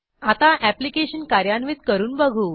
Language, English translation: Marathi, Now, we shall try running the application